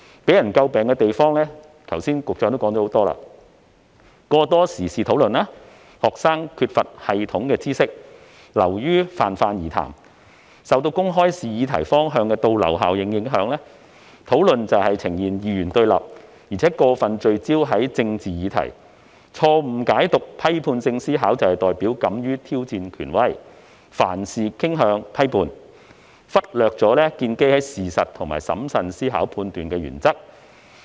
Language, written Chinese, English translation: Cantonese, 局長剛才指出了很多為人詬病的地方，包括過多時事討論，加上學生缺乏有系統的知識，以致討論流於泛泛而談；受公開試擬題方向的倒流效應所影響，討論呈現二元對立，而且過分聚焦於政治議題；錯誤解讀批判性思考，以為是代表敢於挑戰權威，凡事傾向批判，忽略了須建基於事實作出審慎思考判斷的原則。, The Secretary has just mentioned various criticisms of it including too much emphasis on discussion of current affairs and such discussions being too general due to students lack of systematic knowledge; such discussions being polarized and too focused on political issues as a result of the backwash effect of the direction of question setting in the public examination; and misinterpretation of critical thinking as a readiness to challenge authority and criticize and object indiscriminately at the expense of the principle of adopting facts as the basis of careful thinking and judgment